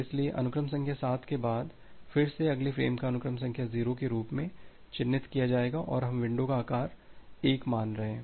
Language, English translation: Hindi, So, after sequence number 7 again the next frame will be marked as sequence number 0 and we are considering as window size of 1